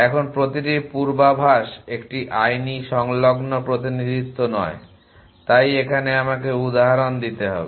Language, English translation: Bengali, Now, every not every premonition is a legal adjacency representation so let me given example